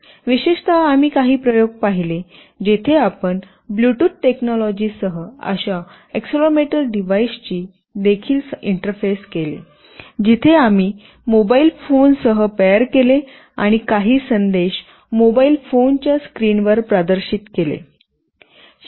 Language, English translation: Marathi, In particular we looked at some experiments where you also interfaced such an accelerometer device with Bluetooth technology, where we paired with a mobile phone and some messages were displayed on the mobile phone screens